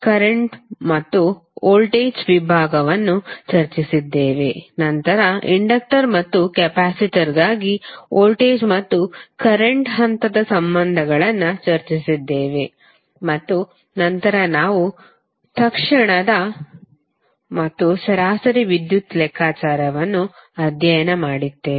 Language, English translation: Kannada, We also discussed current and voltage division then we discussed voltage and current phase relationships for inductor and capacitor and then we studied the instantaneous and average power calculation